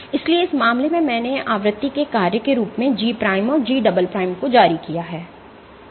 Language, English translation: Hindi, So, in this case I have floated G prime and G double prime as a function of frequency